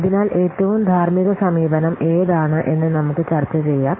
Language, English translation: Malayalam, So, now let's see which is the most ethical approach